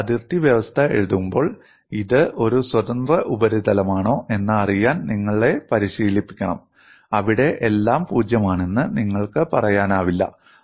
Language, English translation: Malayalam, When you are writing the boundary condition, you would be trained to see if it is a free surface; you cannot say everything is 0 there